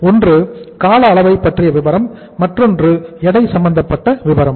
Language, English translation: Tamil, One is the information about the duration and second information we require is about the weights